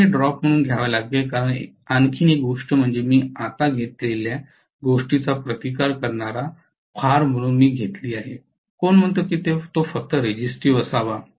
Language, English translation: Marathi, You have to take this as a drop because one more thing Ia what I have taken right now I have taken as a resistive load, who says it has to be only resistive